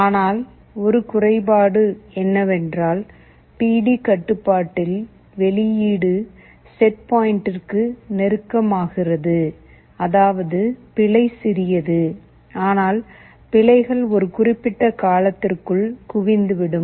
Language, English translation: Tamil, But one drawback is that that in the PD control the output becomes close to the set point; that means, the error is small, but errors tend to accumulate over a period of time